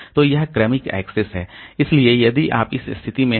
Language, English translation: Hindi, For sequential access we have to do it like this